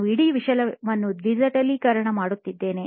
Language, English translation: Kannada, I was digitizing the whole thing